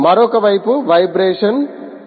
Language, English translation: Telugu, on the other side, the are vibrations